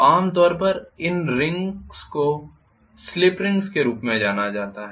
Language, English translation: Hindi, So normally these rings are known as slip ring